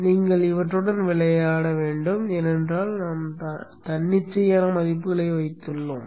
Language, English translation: Tamil, You should play around with these because we have just put arbitrary values